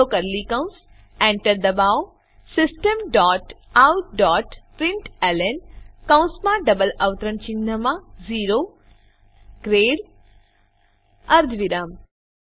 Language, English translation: Gujarati, Open curly brackets press enter System dot out dot println within brackets and double quotes O grade semicolon